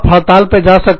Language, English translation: Hindi, You will go on strike